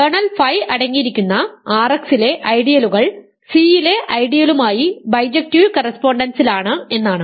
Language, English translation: Malayalam, It says that ideals in R x containing kernel phi are in bijective correspondence with ideal in C